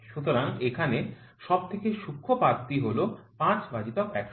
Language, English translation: Bengali, So, the finest leaf here is 5 by 100